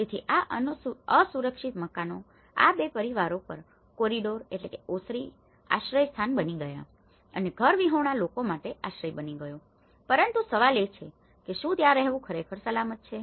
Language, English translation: Gujarati, So, that is where this unsafe houses has become a shelter for the corridor between these two families has become a shelter for the homeless people, but the question is, is it really safe to live there